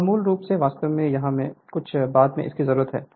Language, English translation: Hindi, Here it is basically actually here we need later this is the just hold on